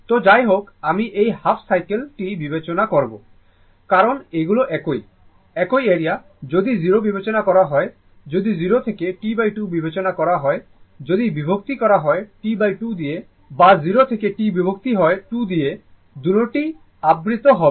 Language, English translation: Bengali, So anyway, will consider this half cycle only because these are same, same area; if you consider 0, if you if you consider 0 to T by 2 right, if divided by T by 2 or 0 to T divided by 2, in that both will be covered